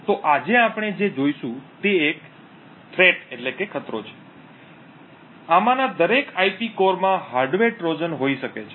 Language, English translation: Gujarati, So, what we will be looking at today is the threat that each of these IP cores could potentially have a hardware Trojan present in them